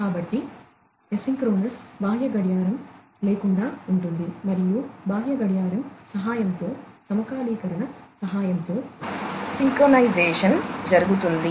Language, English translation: Telugu, So, asynchronous is without external clock and synchronous is with the help of the synchronization is done, with the help of the external clock